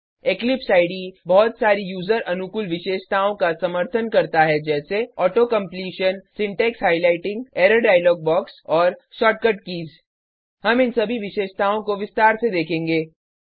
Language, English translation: Hindi, Eclipse IDE supports many user friendly features such as Auto completion, Syntax highlighting, Error dialog box, and Shortcut keys